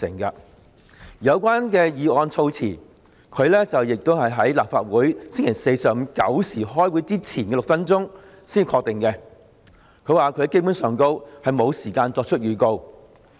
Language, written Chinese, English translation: Cantonese, 而有關議案的措辭，他亦是在立法會星期四上午9時開會前的6分鐘才確定，他說自己基本上沒有時間作出預告。, When it came to the wording of the motion concerned he only finalized it six minutes before the commencement of the Council meeting at 9col00 am on Thursday . He said there was basically no time for him to give prior notice